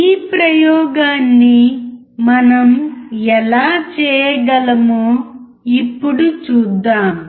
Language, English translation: Telugu, Let us now see how we can perform this experiment